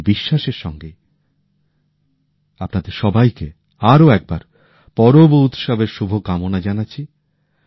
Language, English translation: Bengali, With this very belief, wish you all the best for the festivals once again